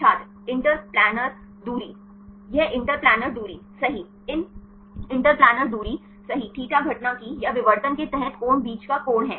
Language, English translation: Hindi, The interplanar distance This interplanar distance right these interplanar distance right, θ is the angle between the angle of incidence or under diffraction